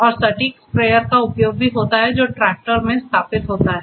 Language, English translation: Hindi, And also the use of the precision sprayer which is installed to the tractor